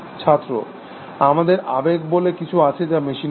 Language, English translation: Bengali, We have something called emotion that is not in machines